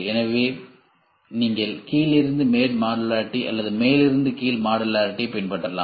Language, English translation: Tamil, So, you can have bottom up modularity or top down modularity